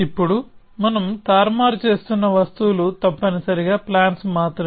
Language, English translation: Telugu, So, now the objects that we are manipulating are only plans essentially